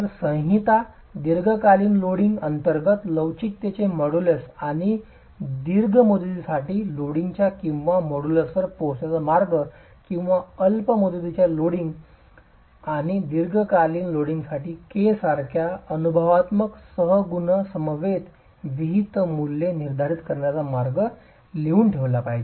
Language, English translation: Marathi, So, the code should actually be prescribing the modus of elasticity under short term loading and a way of arriving at the model's velocity for long term loading or prescribe values in a similar manner with empirical coefficients such as k for short term loading and long term loading